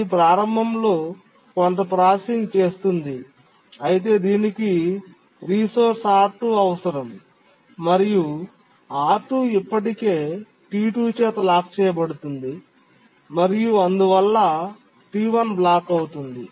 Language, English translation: Telugu, Sorry, it needs the resource R2 and R2 is already blocked by is already locked by T2 and therefore T1 gets blocked